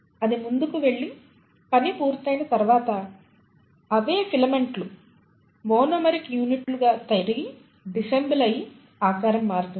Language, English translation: Telugu, And once it has moved forward and the work is done, the same filaments will disassemble back to the monomeric units and the shape will change